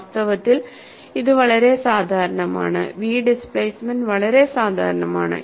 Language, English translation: Malayalam, And, in fact, this is a very popular, the v displacement is quite popular